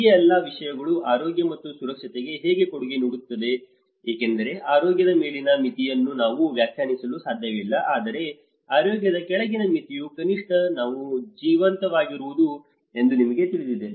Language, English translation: Kannada, This is how these all set of things contribute that health and safety itself because the upper limit of health we cannot define, but the lower limit of health is at least we are alive, you know that is lower limit of being safe, that is where the DRR context